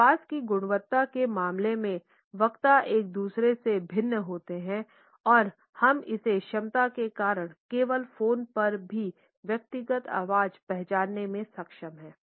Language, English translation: Hindi, Speakers differ from each other in terms of voice quality and we are able to recognize individual voice even on phone because of this capability only